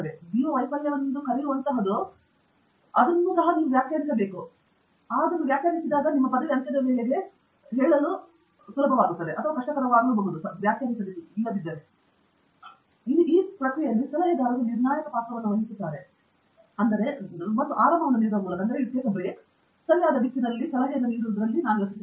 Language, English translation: Kannada, But, of course, dealing with failures is important, and failures occurring towards… what you call as a failure, you should have to first define a failure, but what people call as failure and if it occurs towards the end of your degree or so called expected duration, then yeah, it is more difficult to say and that is where I think advisors play a very critical role in cushioning, and in giving comfort, and so on, and giving advice in the right direction